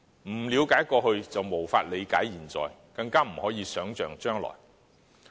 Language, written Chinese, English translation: Cantonese, 不了解過去便無法理解現在，更不可能想象將來。, One cannot understand the present without understanding the past; neither can he form a perspective of the future